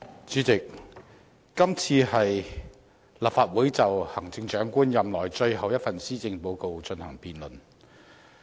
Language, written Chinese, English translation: Cantonese, 主席，這次是立法會就行政長官任內最後一份施政報告進行辯論。, President the Legislative Council now debates the last Policy Address by the Chief Executive in his term of office